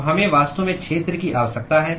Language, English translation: Hindi, So we really need the area